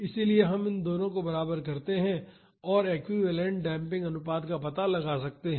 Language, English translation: Hindi, So, we can equate these two and find out an equivalent damping ratio